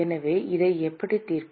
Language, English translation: Tamil, So, how do we solve this